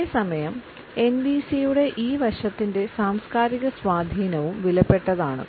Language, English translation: Malayalam, But at the same time we find that the cultural impact on this aspect of NVC is also valuable